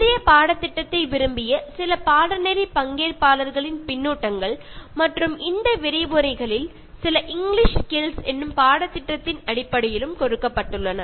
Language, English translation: Tamil, Now based on the feedback from some of the course participants who liked the previous course, as well as some of the lectures given in this one on English Skills